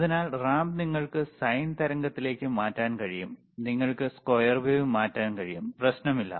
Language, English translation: Malayalam, So, ramp you can change to the sine wave, you can change the square wave, does not matter